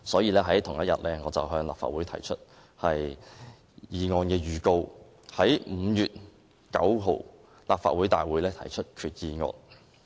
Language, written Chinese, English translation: Cantonese, 在同一天，我向立法會提出議案預告，以在5月9日的立法會大會提出擬議決議案。, On the same day I gave a notice for the moving of the proposed resolution at the Legislative Council meeting on 9 May